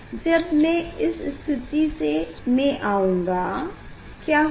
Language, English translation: Hindi, when I will come this position then what will happen